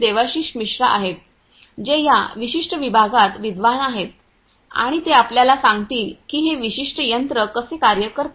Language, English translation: Marathi, Devashish Mishra, who have been the scholar in this particular department and he is going to explain to you how this particular machine works